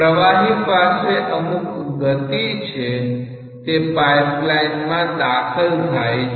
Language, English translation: Gujarati, The fluid is having a particular velocity, it is entering the pipe